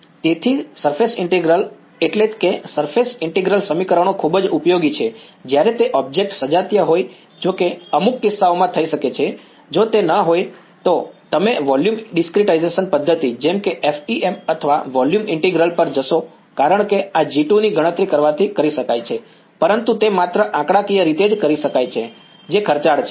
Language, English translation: Gujarati, So, surface integral that is what surface integral equations are very useful when that objects are homogenous, which can happen in some cases, if they do not happen then you will go to some volume discretization method like FEM or volume integral because calculating this G 2 it can be done, but it will it can be done numerically only which is expensive